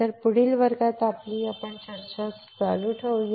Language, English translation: Marathi, So, let us continue our discussion in the next class